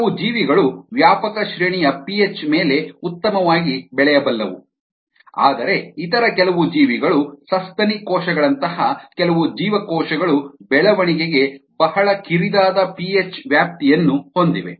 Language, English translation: Kannada, some organisms have ah, can grow well over a wide range of p H where, as some other organisms, some other cells, such as mammalian cells, have a very narrow p H range for growth